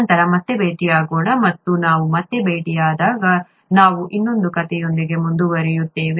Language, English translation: Kannada, Let us meet again later and when we meet again, we will continue with another story